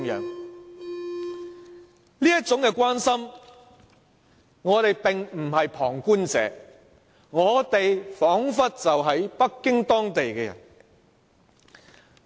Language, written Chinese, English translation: Cantonese, 我們的這種關心，表示我們並非旁觀者，彷彿是北京當地的人。, Our concern showed that we were not onlookers but like the local citizens of Beijing